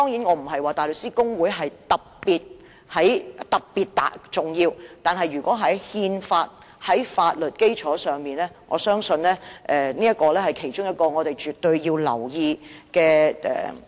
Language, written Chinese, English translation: Cantonese, 我並非說大律師公會特別重要，但它就憲法和法律基礎提供的意見，我相信是其中一項需要留意和尊重的意見。, I am not saying that the Bar Association is particularly important but I believe its advice on constitutional issues and legal basis should warrant attention and respect